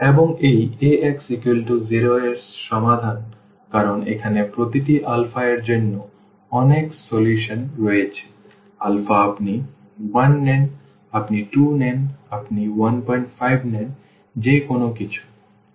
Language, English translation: Bengali, And, this the solution the solutions of this Ax is equal to 0 because there are so many solutions here for each alpha, alpha you take 1, you take 2, you take 1